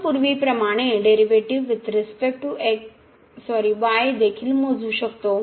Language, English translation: Marathi, We are taking the derivative with respect to y